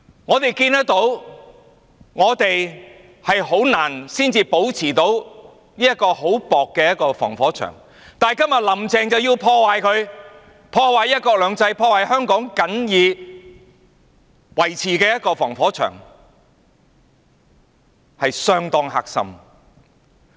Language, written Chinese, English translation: Cantonese, 我們看到，我們很難才得以保持的這層很薄的防火牆，今天"林鄭"卻要破壞它、破壞"一國兩制"、破壞香港僅有的防火牆，實在是相當"黑心"。, As we can see regarding this flimsy firewall that we managed to maintain only after much difficulty Carrie LAM intends to ruin it today . She is damaging one country two systems and she is damaging the only firewall of Hong Kong . She is indeed so evil - minded